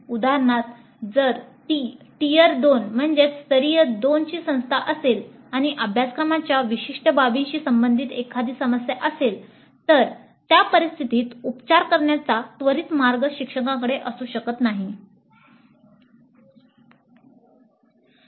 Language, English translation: Marathi, For example if it is a tire to institute and if it is an issue related to certain aspect of the syllabus then the instructor may not have an immediate way of remedying that situation